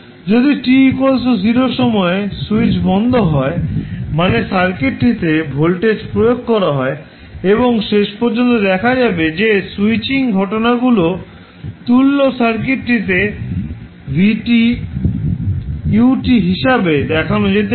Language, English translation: Bengali, If at time t equal to 0 switch is closed means voltage is applied to the circuit and finally you will see that the equivalent circuit including the switching phenomena can be represented as vs into ut